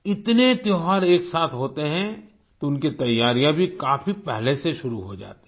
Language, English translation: Hindi, When so many festivals happen together then their preparations also start long before